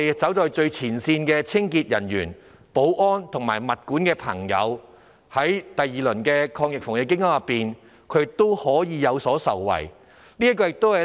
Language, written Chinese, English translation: Cantonese, 此外，最前線的清潔、保安及物管人員也能在第二輪防疫抗疫基金下受惠。, Moreover frontline cleaning security and property management staff can also benefit under the second round of AEF